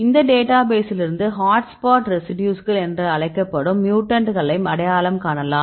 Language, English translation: Tamil, So, from this database you can identify the mutants which are termed as hotspot residues